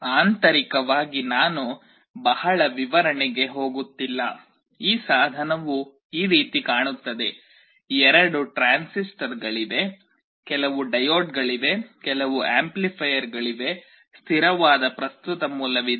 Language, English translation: Kannada, Internally I am not going into the detail explanation, this device looks like this, you see there are two transistors, some diodes, there are some amplifiers, there is a constant current source